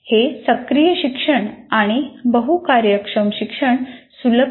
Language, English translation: Marathi, And it facilitates, first of all, active learning, multifunctional learning